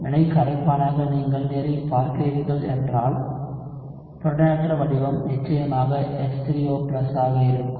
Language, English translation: Tamil, If you are looking at water as your reaction solvent, the protonated form would be of course H3O+